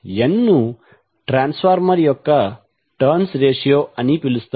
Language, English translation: Telugu, n is popularly known as the terms ratio of the transformer